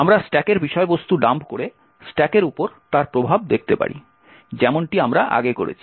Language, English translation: Bengali, We can also see the effect on the stack by dumping the stack contents as we have done before